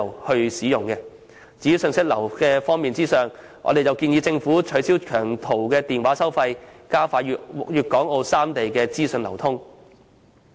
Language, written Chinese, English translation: Cantonese, 在信息流方面，我們建議政府取消長途電話收費，藉以加快粵港澳三地的資訊流通。, With regard to the flow of information we propose that charges for making long distance calls should be abolished to promote the flow of information among the three places of Guangdong Hong Kong and Macao